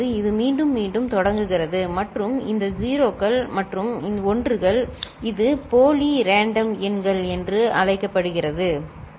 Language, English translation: Tamil, it again it starts repeating and the numbers you can see you here these 0s and 1s, it is what is known as pseudo random, ok